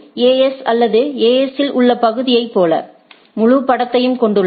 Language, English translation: Tamil, Like in the AS or the area in the AS, where it is there it has the whole picture